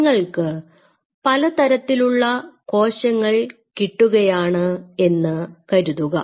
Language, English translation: Malayalam, Now, suppose you know these you have these 5 different kind of cells